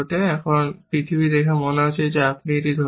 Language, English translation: Bengali, Now, the world looks like, you are holding a